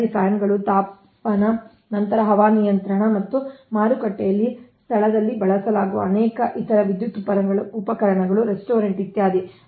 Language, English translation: Kannada, fans, heating, then air conditioning, again, and many other electrical appliances used in market places, restaurant, etc